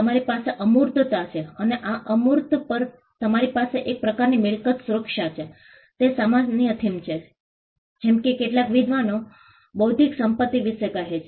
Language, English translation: Gujarati, You have intangibles and you have some kind of a property protection over this intangible, that is the common theme as some scholars say of intellectual property